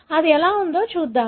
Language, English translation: Telugu, Let’s see how it is